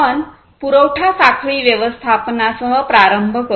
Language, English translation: Marathi, So, we will start with the supply chain management